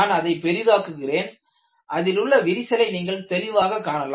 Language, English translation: Tamil, I would enlarge this and you find there is a crack here